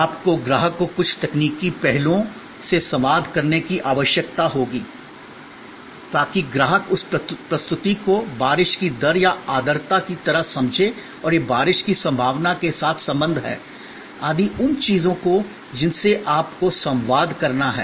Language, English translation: Hindi, You will need to communicate to the customer certain technical aspects, so that the customer understands the by that presentation like precipitation rate or the humidity and it is relationship with possibility of rain, etc, those things you have to communicate